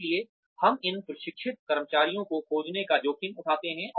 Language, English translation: Hindi, So, we run the risk of losing these trained employees